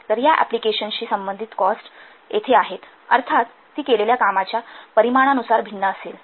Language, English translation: Marathi, So here the cost associated with these applications, obviously that will vary according to the volume of the work performed